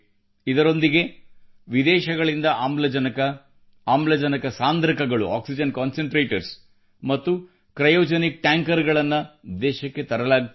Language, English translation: Kannada, Along with that, oxygen, oxygen concentrators and cryogenic tankers from abroad also are being brought into the country